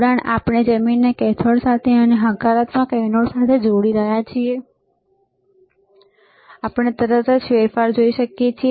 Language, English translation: Gujarati, Connection we are connecting ground to cathode and positive to anode, we can immediately see the change